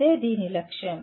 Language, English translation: Telugu, That is the goal of this